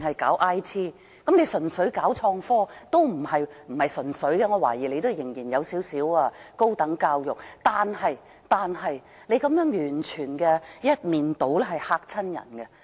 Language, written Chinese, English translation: Cantonese, 我懷疑不是純粹搞創科工業，仍然還有小量的高等教育成分，但是，這種完全一面倒的態度甚是嚇人。, I guess that the river - loop area is not purely reserved for IT industry . There should be a little tertiary education developments . However this complete about - turn is rather intimidating